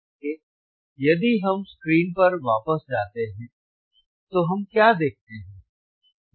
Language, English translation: Hindi, So, if we go back to the screen, if we go back to the screen what we see